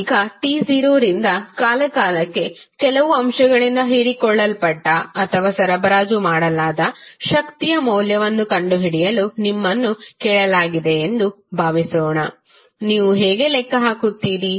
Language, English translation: Kannada, Now, suppose you are asked to find out the value of energy absorbed or supplied by some element from time t not to t how you will calculate